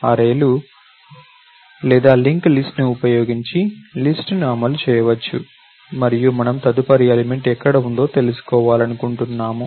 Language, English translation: Telugu, The list could be implemented using arrays or link list and we just want to know why, where is the next element located